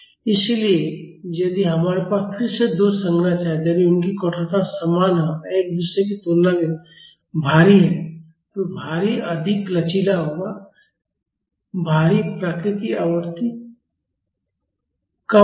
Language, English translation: Hindi, So, if we have two structures again, if their stiffnesses are same and one is heavier than the other the heavier one will be more flexible the heavier one will be having lower natural frequency